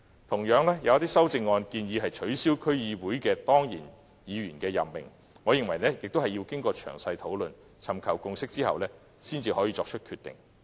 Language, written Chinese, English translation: Cantonese, 同樣地，有一些修正案建議取消區議會當然議員的議席，我認為亦要經過詳細討論，尋求共識後才可作出決定。, Similarly some amendments call for the abolition of ex - officio seats in DCs which I believe a decision should be made only after thorough discussion and a consensus forged